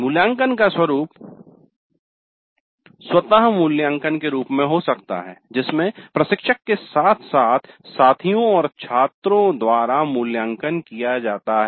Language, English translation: Hindi, The evaluation can be self evaluation by the instructor as well as by peers and students